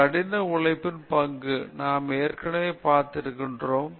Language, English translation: Tamil, Role of hard work we have already seen